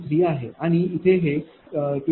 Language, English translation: Marathi, 113 and here, it is 28